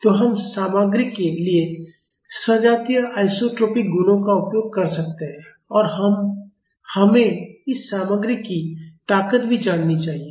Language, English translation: Hindi, So, we can use homogeneous isotropic properties for the material and we also should know the strength of this material